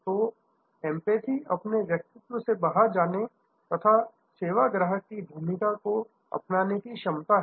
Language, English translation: Hindi, So, empathy is the ability to get out of your own skin and take on the role of the service customer